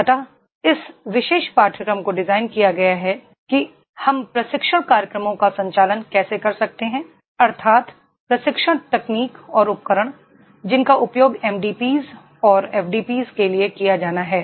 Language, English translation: Hindi, So, this particular course has been designed how we can conduct the training programmes that is training techniques and tools which are to be used for the MDPs and FDPs